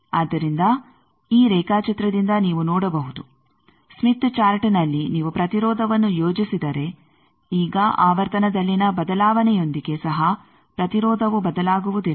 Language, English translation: Kannada, So, you see that from this diagram that there is in the smith chart, if you plot the impedance, now if even with change in frequency the impedance does not change